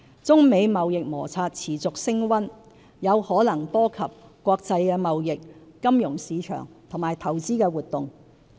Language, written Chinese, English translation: Cantonese, 中美貿易摩擦持續升溫，有可能波及國際貿易、金融市場和投資活動。, As the trade friction between China and the United States is escalating international trade financial markets and investment activities might be affected